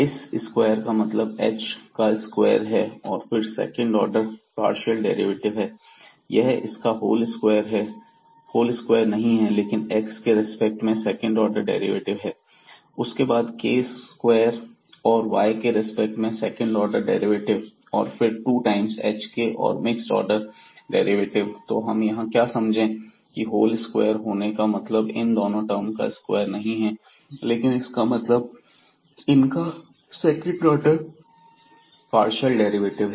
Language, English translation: Hindi, So, the meaning of this square will be h square the second order partial derivative is not a whole square of this, but rather second order derivative of this with respect to x, then the k square and the second order derivative with respect to y and then the two times hk and the mixed order derivatives